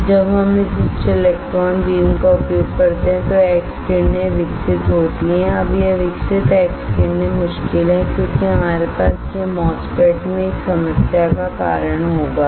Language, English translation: Hindi, That when we use this very high electron beam then there is a generation of x rays, now this generation of x rays are difficult because we have it will cause a problem in MOSFET